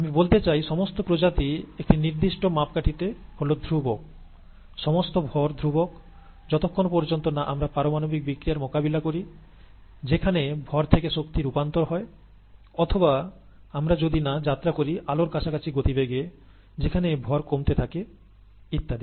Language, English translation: Bengali, I mean total species in in a certain formulation as a constant, we look at total mass is a constant as long as we do not deal with nuclear reactions where there is mass to energy conversion, or if we do not travel at speeds close to that of light, there is mass dilation and so on